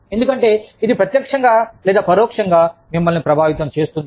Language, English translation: Telugu, Because, it is going to affect you, directly or indirectly